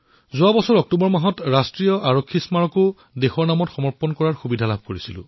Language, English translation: Assamese, In the month of Octoberlast year, I was blessed with the opportunity to dedicate the National Police Memorial to the nation